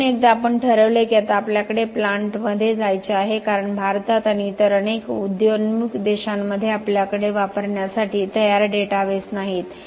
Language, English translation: Marathi, So once we have decided which system we have to now go to a plant because in India and in many other emerging countries we do not have databases that are ready to use